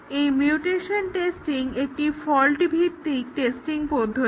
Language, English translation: Bengali, Today we will look at the mutation testing which is a fault based testing